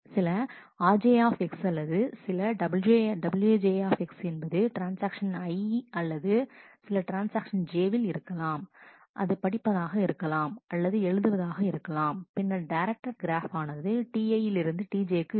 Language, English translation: Tamil, If there is some rj X or some wj X, either in this was in transaction I/, in transaction some transaction j if there is a read X or if there is a write of X, then there will be a directed graph age from T i to T j